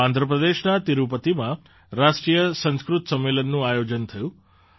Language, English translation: Gujarati, At the same time, 'National Sanskrit Conference' was organized in Tirupati, Andhra Pradesh